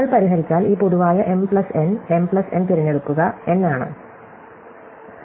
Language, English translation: Malayalam, So, if we solve, this is, this general m plus n m plus n choose n, right